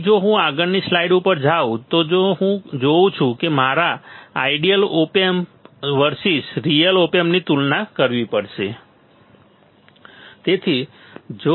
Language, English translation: Gujarati, So, if I if I go to the next slide what I will see ill see that I had to compare the ideal op amp versus real op amp